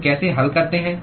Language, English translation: Hindi, How do we solve